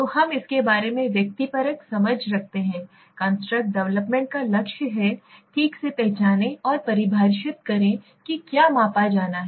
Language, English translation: Hindi, So we have the subjective understanding about it, the goal of the construct development is to precisely identify and define what is to be measured right